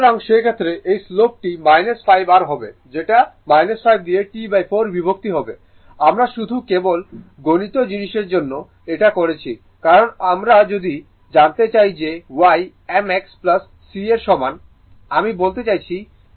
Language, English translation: Bengali, So, in that case this slope will be minus 5 ah your what you call minus 5 divided by T by 4 just just we are just we are for mathematical things because if you want to find out y is equal to m x plus C, I mean v is equal to m t plus c